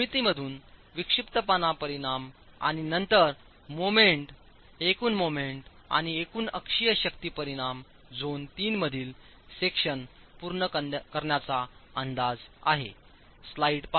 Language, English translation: Marathi, From the geometry, the eccentricity in the resultants and then the moment, total moment and the total axial force resultants are estimated to complete the section in zone 3